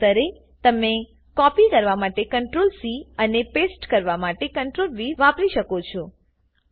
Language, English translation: Gujarati, Alternately, you can press CTRL+C to copy and CTRL+V to paste